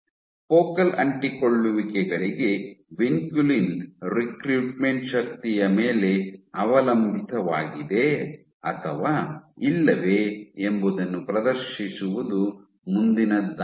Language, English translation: Kannada, What did it next was that to demonstrate whether vinculin recruitment to focal adhesions is force dependent or not